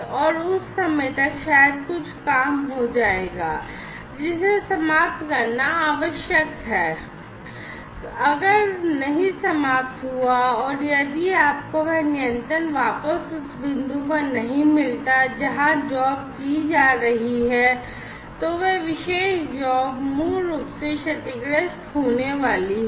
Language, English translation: Hindi, And, by that time maybe you know some job will be will which was required to be finished is not finished, and if you do not get that control back to that point where the job is being performed, then that particular job is going to be basically damaged, right